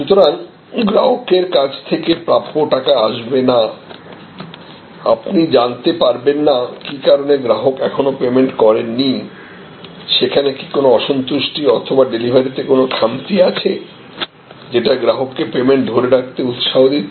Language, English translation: Bengali, Because, unless the money is collected from the customer you would often not know, what is compelling the customer to hold on to the payment, whether there is some kind of dissatisfaction or lack in deliveries made, which is provoking the customer to retain payment